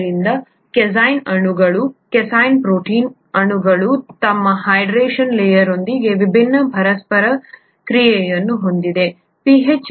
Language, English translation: Kannada, Therefore the casein molecules, the casein protein molecules there have different interactions with their hydration layer